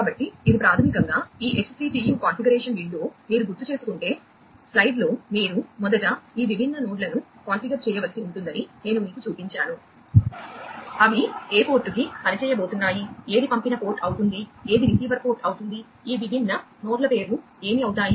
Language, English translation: Telugu, And if you recall, that you know in the slide I had shown you that you will have to first configure these different nodes regarding, which port they are going to work, which one will be the sender port, which will be the receiver port, what will be the names of these different nodes